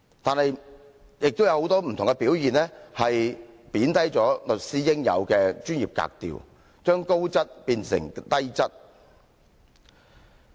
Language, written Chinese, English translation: Cantonese, 但是，他很多不同的表現，貶低了律師應有的專業格調，將高質變成低質。, Nevertheless many of his behaviours have degraded the class that the legal profession should represent lowering the superior status of the sector and turning it into something seemingly inferior